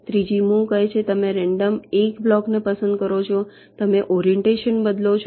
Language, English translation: Gujarati, the third move says you pick up a block at random, you change the orientation